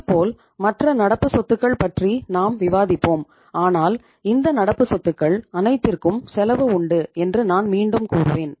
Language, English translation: Tamil, Similarly, we will be discussing about the other current assets but I would again say all these current assets have the cost